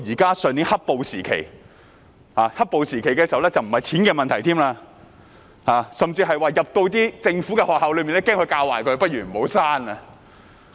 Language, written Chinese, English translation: Cantonese, 到上年"黑暴"時期，已不僅是錢的問題，甚至是恐防進入政府學校會被教壞，倒不如不要生小孩了。, When the period of black - clad violence erupted last year it was not just about money but even about the fear that children might be badly taught in government schools so having no children might be a better choice